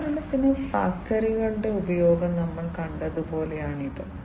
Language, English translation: Malayalam, So, this is something like you know we have seen the use of tractors for example